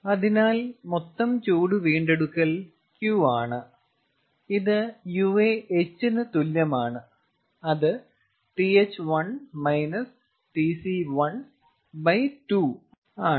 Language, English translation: Malayalam, so total heat recovery is q dot that is equal to that is th one minus tc one by two